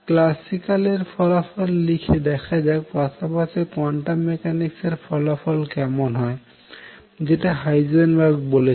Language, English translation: Bengali, Write thus the classical result let us see the corresponding quantum mechanical result what Heisenberg proposes